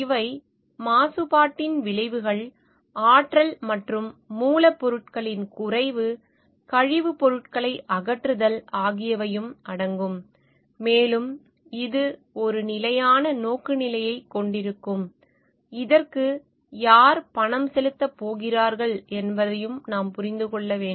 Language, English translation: Tamil, These are the effects of pollution, depletion of energy and raw materials, disposal of waste products are also included and this will have a more sustainable orientation and we need to understand like who is going to pay for it